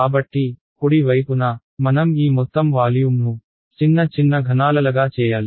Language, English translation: Telugu, So, on the right hand side, I have to chop up this entire volume into small cubes right